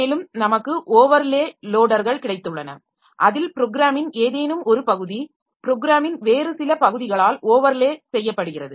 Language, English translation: Tamil, Then we have got overlay loaders where something, some part of the program is overlaid by some other part of the program